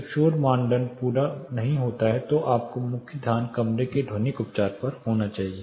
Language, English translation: Hindi, When noise criteria are not met your main attention should be on acoustic treatment